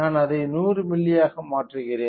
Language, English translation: Tamil, So, let me change it to 100 milli